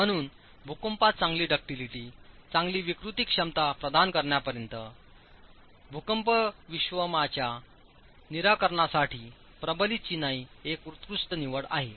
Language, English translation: Marathi, So, masonry, reinforced masonry is an excellent choice for seismic solutions as far as providing good ductility, good deformation capacity in earthquakes